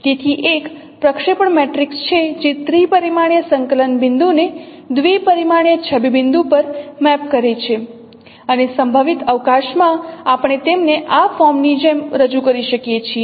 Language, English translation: Gujarati, So, there is a projection matrix which maps a three dimensional coordinate point to a two dimensional image point and in the projective space we can represent them as in this form